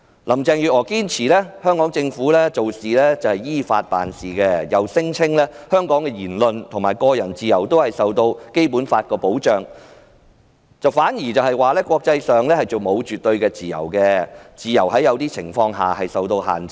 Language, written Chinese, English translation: Cantonese, 林鄭月娥堅稱香港政府是依法辦事，又聲稱香港的言論和個人自由均受到《基本法》保障，反指國際上並無絕對的自由，自由在某些情況下會受到限制。, Carrie LAM insisted that the Hong Kong Government has acted in accordance with the law and that freedom of speech and personal freedom of individuals in Hong Kong were protected under the Basic Law . On the other hand she said that there was no absolute freedom in the international community as freedom was restricted under certain circumstances